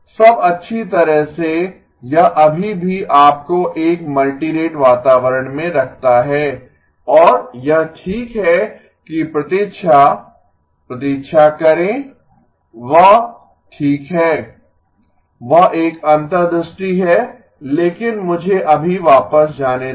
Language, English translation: Hindi, Now well that still puts you in a multirate environment and it is okay wait wait that is okay that is an insight but let me just go back